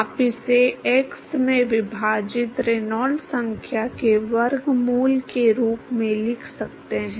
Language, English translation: Hindi, You can write it as square root of Reynolds number divided by x